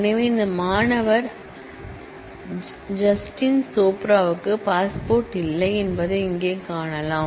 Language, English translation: Tamil, So, as we can see here that this student Jatin Chopra does not have a passport